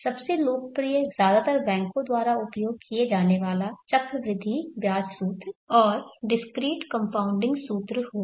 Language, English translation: Hindi, Most popular used mostly by the banks would be the compound interest formula and the discrete compounding formula